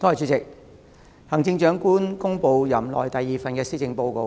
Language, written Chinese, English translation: Cantonese, 主席，行政長官公布了任內第二份施政報告。, President the Chief Executive has presented her second Policy Address in her term of office